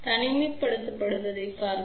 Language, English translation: Tamil, Let us see for isolation